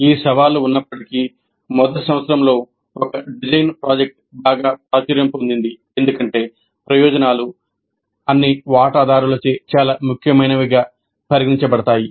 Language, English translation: Telugu, Despite these challenges, a design project in first year is becoming increasingly popular as the advantages are considered to be very significant by all the stakeholders